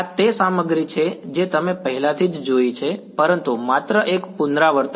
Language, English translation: Gujarati, This is the stuff which you have already seen, but just a revision